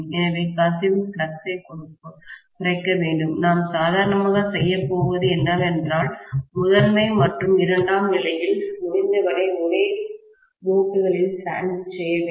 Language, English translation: Tamil, So, to reduce the leakage flux, what we are going to do normally is to put the primary and secondary as much as possible sandwiched in the same limb